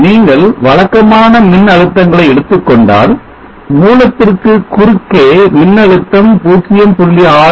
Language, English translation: Tamil, If we take typical voltages you will see that the voltage across the source is of the order of 0